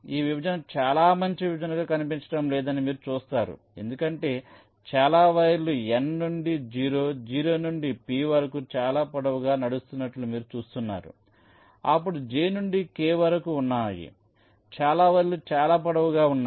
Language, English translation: Telugu, you see, this partition does not look to be a very good partition because you see there are several wires which are running pretty long: n to o, o to p, ok, there are then j to k